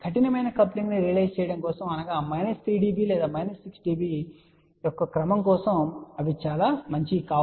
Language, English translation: Telugu, They are not very good for realizing tighter coupling which is let us say of the order of minus 3 db or minus 6 db